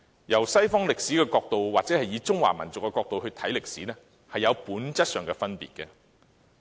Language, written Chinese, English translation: Cantonese, 從西史的角度或從中華民族的角度來看歷史，有本質上的分別。, There is a fundamental difference between looking at history from the perspective of world history and from that of the Chinese nation